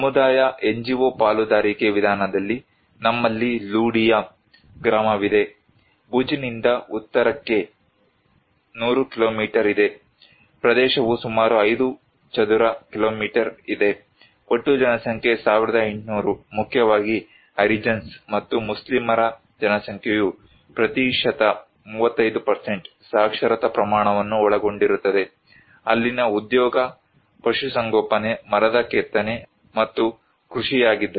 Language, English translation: Kannada, In community NGO partnership approach, we have Ludiya village, there is 100 kilometer north from Bhuj, area is around 5 square kilometer, total population is 1800 mainly by Harijans and Muslims population comprised by literacy rate was 35%, there also occupation was animal husbandry, wood carving and cultivations